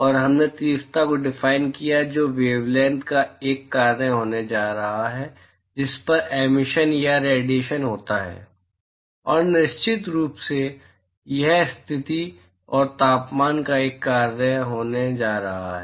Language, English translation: Hindi, And we defined intensity which is going to be a function of the wavelength at which the emission or irradiation occurs, and of course, it is going to be a function of the position and temperature